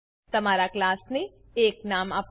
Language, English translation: Gujarati, Give your class a name